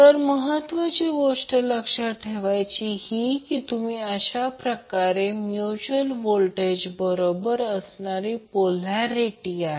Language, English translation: Marathi, So the important thing which you have to remember is that how you will find out the polarity of mutual voltage